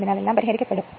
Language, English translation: Malayalam, So, everything will be solved right